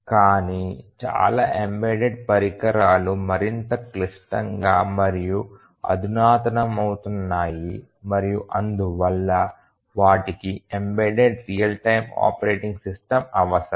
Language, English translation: Telugu, But then many of the embedded devices are getting more and more complex and sophisticated and all of them they need a embedded real time operating system